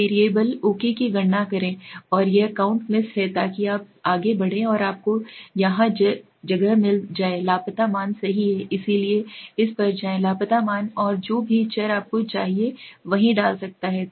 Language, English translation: Hindi, Now compute variable okay, and this is count miss so you go on and you find here replace missing values right, so go to this replace missing values and whatever variables you want you can put in there right